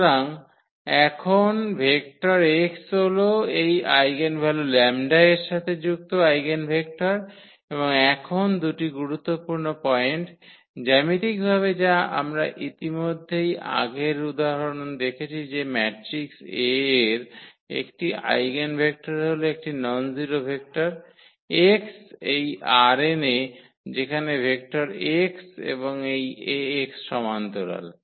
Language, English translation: Bengali, So, now the vector x is the eigenvector associated with this eigenvalue lambda and the two important points now, the geometrically which we have already seen with the help of earlier example that an eigenvector of a matrix A is a nonzero vector, x in this R n such that the vectors here x and this Ax are parallel